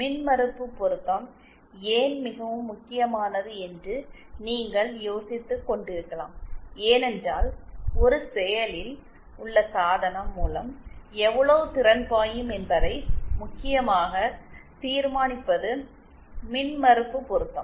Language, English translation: Tamil, You may be wondering why impedance matching is so important, it is important because impedance matching is the main determiner of how much power is being, how much power will flow through an active device